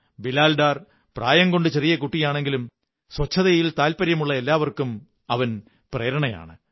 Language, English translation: Malayalam, Bilal is very young age wise but is a source of inspiration for all of us who are interested in cleanliness